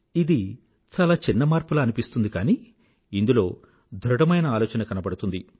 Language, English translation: Telugu, It appears to be a minor change but it reflects a vision of a healthy thought